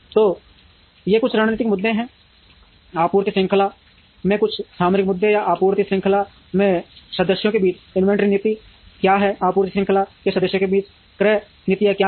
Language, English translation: Hindi, So, these are some of the strategic issues, some of the tactical issues in a supply chain or what is the inventory policy across members of the supply chain, what are the purchasing policies across members of the supply chain